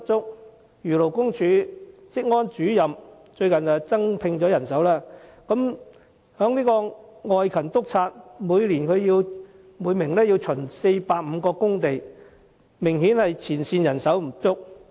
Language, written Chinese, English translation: Cantonese, 例如，勞工處職安主任近日已增聘人手，但現時每名外勤督察一年要巡查450個工地，前線人手明顯不足。, For instance despite the recent manpower increase for the Occupational Safety Officer Grade in the Labour Department each field inspector must still inspect 450 works sites a year . This shows an obvious shortage of frontline staff